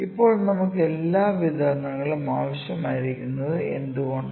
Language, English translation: Malayalam, Now, why do we need all the distributions